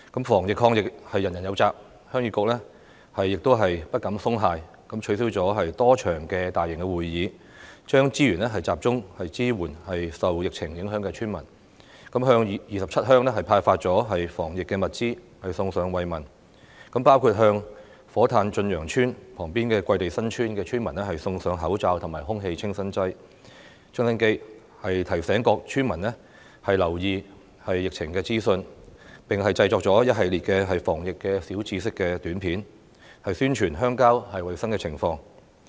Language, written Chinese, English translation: Cantonese, 防疫抗疫人人有責，鄉議局亦不敢鬆懈，取消了多場大型會議，將資源集中支援受疫情影響的村民，向27鄉派發防疫物資，送上慰問，包括向火炭駿洋邨旁邊的桂地新村村民送上口罩和空氣清新機，提醒各村民留意疫情資訊，並製作了一系列防疫小知識短片，宣傳鄉郊的衞生情況。, It has cancelled many large - scale meetings and focused its resources on supporting the villagers affected by the epidemic . As a token of care the Heung Yee Kuk has distributed anti - epidemic supplies to 27 villages including giving face masks and air purifiers to the villagers of Kwai Tei New Village which is situated next to Chun Yeung Estate in Fo Tan . It has drawn villagers attention to epidemic information and produced a series of short clips on anti - epidemic tips to promote hygiene in rural areas